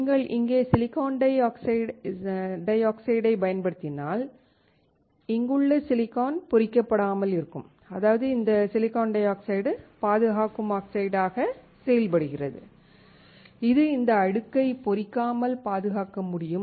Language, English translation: Tamil, If you use SiO2 here, the silicon here is not getting etch; that means, this silicon dioxide acts as protecting oxide, it can protect this layer from getting etched